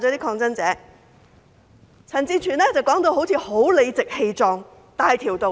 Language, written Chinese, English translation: Cantonese, 陳志全議員說得好像很理直氣壯、大條道理。, Mr CHAN Chi - chuens talk seemed so righteous and justified